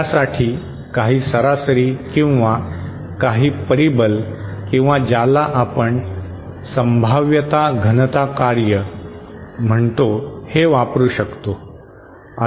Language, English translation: Marathi, Instead, what we can characterise it is with some average or moments or what we call probability density function